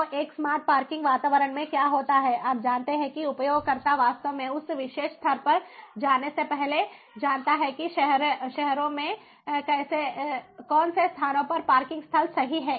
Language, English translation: Hindi, so, ah, in a smart parking environment, what happens is, you know, the user knows ahead of actually going to that particular spot that which of the spots in the cities have free parking spots, right, which of these different parking lots have free parking spots